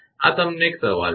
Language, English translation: Gujarati, This is a question to you